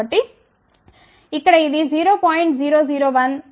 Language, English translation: Telugu, So, this one here is 0